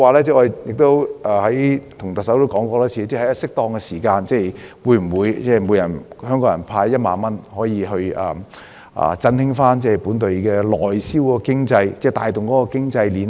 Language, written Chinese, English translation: Cantonese, 此外，我多次問特首，會否在適當的時候向每位香港市民派發1萬元，以振興內銷經濟，帶動經濟鏈呢？, Moreover I have repeatedly asked the Chief Executive whether she will at an opportune time give 10,000 cash handouts to each Hong Kong citizen so as to boost the local economy and invigorate the economic chain